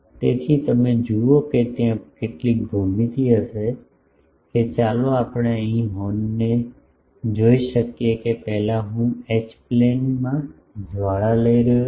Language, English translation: Gujarati, So, you see that there will be some geometries, that let us see the horn here you see that first I am taking a flare in the H plane